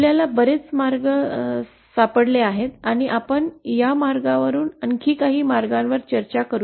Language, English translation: Marathi, We could have found many paths and we will discuss some more, few of more those paths